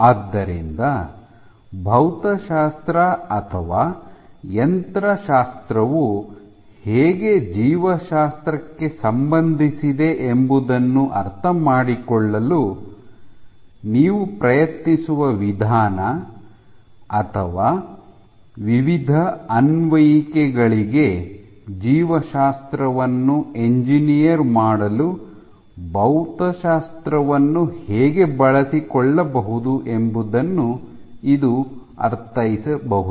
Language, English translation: Kannada, So, this might mean an approach where you try to understand how physics or mechanics is relevant to biology or how you can make use of physics to engineer biology for different applications